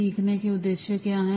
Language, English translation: Hindi, What are the learning objectives